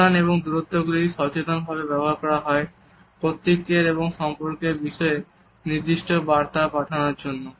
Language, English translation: Bengali, Spacing and distances are also used consciously to establish certain messages regarding authority as well as relationships, which we want to have with others